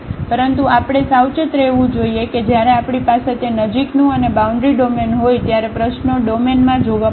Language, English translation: Gujarati, But, we have to be careful that the problem when we have that close and the boundary domain we have to look inside the domain